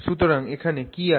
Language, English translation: Bengali, So this is what we have here